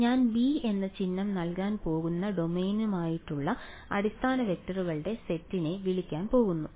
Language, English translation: Malayalam, So, I am going to call the set of basis vectors for the domain I am going to give the symbol b ok